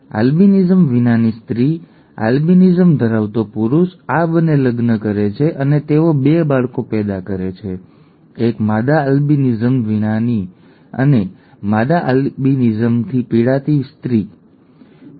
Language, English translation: Gujarati, A female without albinism, a male with albinism, a male with albinism and a male without albinism, and these 2 marry and they produce 2 children, a female without albinism and a female with albinism, okay